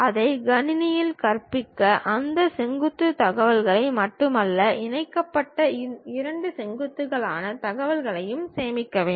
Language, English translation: Tamil, To teach it to the computer, we have to store not only that vertices information, but a information which are the two vertices connected with each other